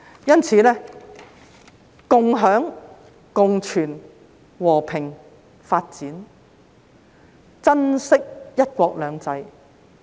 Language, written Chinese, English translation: Cantonese, 因此，要共享、共存、和平、發展，珍惜"一國兩制"。, Therefore we need sharing co - existence peace development and cherishment of one country two systems